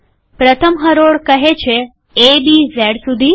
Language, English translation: Gujarati, The first row says a, b up to z